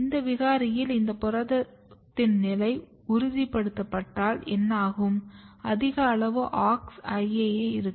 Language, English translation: Tamil, In this mutant what happens that the level of this protein is stabilized; so, you have high amount of Aux IAA